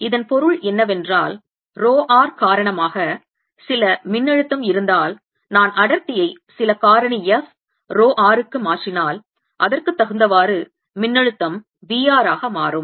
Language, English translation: Tamil, and what it means is if there's some potential due to rho r, if i change the density to some factor, f, rho r, the potential correspondingly will change the potential v r